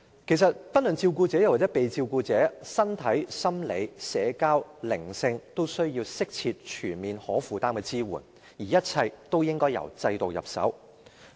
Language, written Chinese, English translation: Cantonese, 其實，不論照顧者或受照顧者，其身體、心理、社交和心靈均需要適切、全面和可負擔的支援，而一切均應由制度入手。, In fact both carers and care recipients need appropriate comprehensive and affordable support for their physical psychological social and spiritual health . All these issues should be addressed by starting with the system